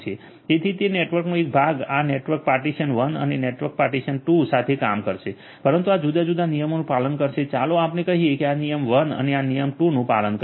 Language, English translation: Gujarati, So, that one part of the network this network partition 1 and network partition 2 these are going to work together, but will follow different rules this will follow let us say rule 1 and this will follow rule 2